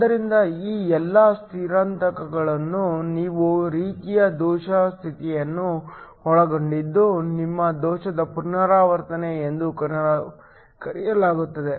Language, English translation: Kannada, So, all of these transitions which involves some sort of defect states are called your defect transitions